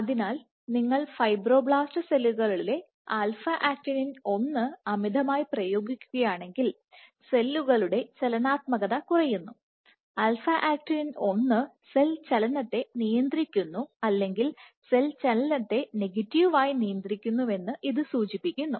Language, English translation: Malayalam, So, if you overexpress alpha actinin 1 in fibroblast cells become less motile, suggesting that alpha actinin 1 regulates cell motility or negatively regulate cell motility